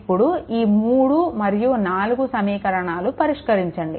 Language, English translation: Telugu, And solve these two that equation 3 and 4 you solve it right